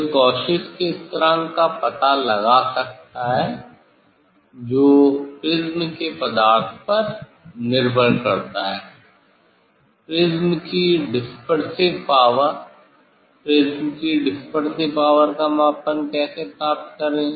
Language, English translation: Hindi, one can find out Cauchy s constant that depends on the material of the prism, dispersive power of the prism, how to measure get the dispersive power of the prism